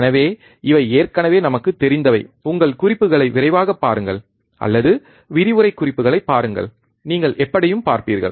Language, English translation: Tamil, So, these are the things we already know so, just quickly look at your notes, or look at the lecture notes, and you will see anyway